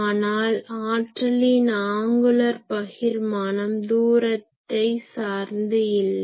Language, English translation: Tamil, So, angular distribution of power is changing with distance